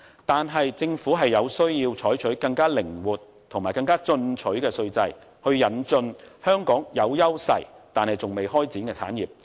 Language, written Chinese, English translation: Cantonese, 但是，政府有需要採取更靈活和進取的稅制，以引進香港有優勢但尚未開展的產業。, Nevertheless the Government needs to adopt an even more flexible and ambitious tax regime so as to introduce to Hong Kong certain industries which it has potentials to do well but which it has not yet been able to develop